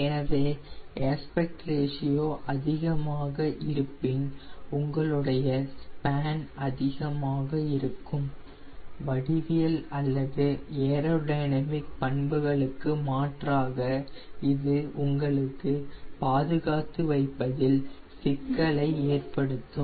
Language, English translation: Tamil, so higher the aspect ratio, more will be your span and rather than geometrical or aero dynamic features, this will be the problem of storing higher aspect ratio